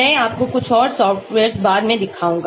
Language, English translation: Hindi, I will show you some more softwares later